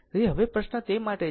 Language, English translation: Gujarati, So, now question is that for